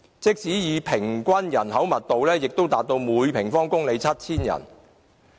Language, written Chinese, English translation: Cantonese, 即使以平均人口密度計算，亦達到每平方公里 7,000 人。, Our average population density still reaches 7 000 persons per square kilometre